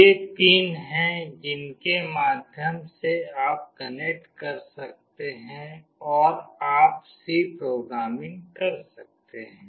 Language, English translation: Hindi, These are the pins through which you can connect and you can do programming with